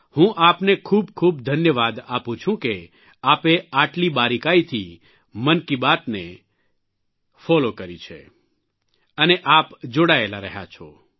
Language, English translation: Gujarati, I express my gratitude to you for following Mann ki Baat so minutely; for staying connected as well